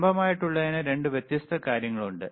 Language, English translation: Malayalam, For the vertical, there are 2 different things